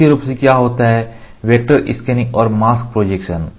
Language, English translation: Hindi, Predominantly what happens is vector scanning, mask projection is you